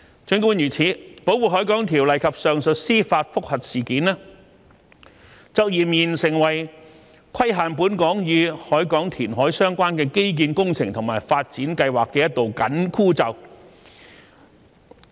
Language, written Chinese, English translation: Cantonese, 儘管如此，《條例》及上述司法覆核事件卻儼然成為規限本港與海港填海相關的基建工程和發展計劃的一道"緊箍咒"。, Nevertheless the Ordinance and the said judicial review seem to have become a spell put on local infrastructure projects and development projects in association with reclamation in the harbour